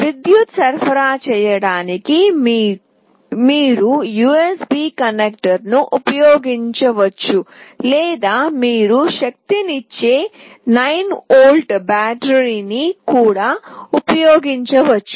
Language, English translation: Telugu, You can use the USB connector to power it, or you can also use a 9 volt battery to power it